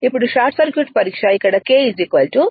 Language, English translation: Telugu, Now, short circuit test, here K is equal to 2